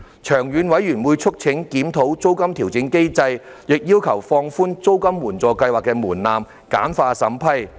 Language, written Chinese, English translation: Cantonese, 長遠而言，事務委員會促請政府當局檢討租金調整機制，亦要求放寬租金援助計劃的門檻，簡化審批。, In the long run the Panel urged the Administration to review the rent adjustment mechanism relax the threshold of the Rent Assistance Scheme and streamline the vetting and approval procedures